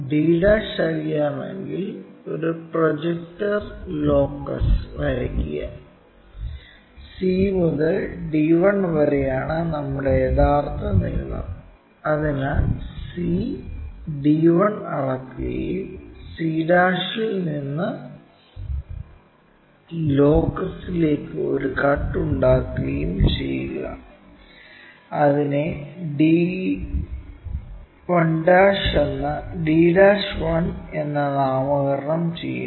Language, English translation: Malayalam, Once we know d', draw a projector locus; already c to d 1 is our true length, so measure that c d 1 and from c' make a cut on to that locus called d' 1, this is the way we construct our diagram